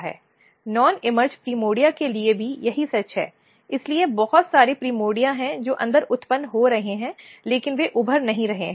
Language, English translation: Hindi, Same is true for the non emerged primordia; so, there are a lot of primordia which are being generated inside, but they are not emerged